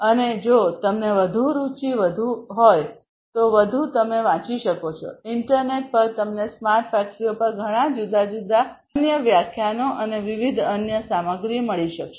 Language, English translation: Gujarati, And if you are further interested you can go through, in the internet you will be able to find lot of different other lectures and different other materials on smart factories